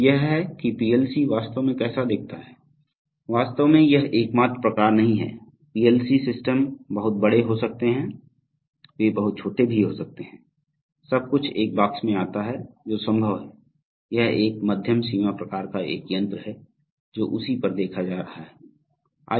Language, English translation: Hindi, So this is how a PLC actually looks like, there are actually, this is not the only type, PLC systems could be very large, they could be very small ,everything comes into one box that is also possible, this is a medium range kind of application, so having looked at that